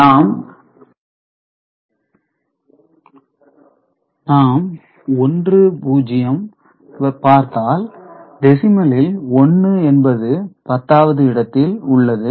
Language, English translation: Tamil, So, if we look at the number that is 1 0, so in decimal the 1 here is appearing at 10s place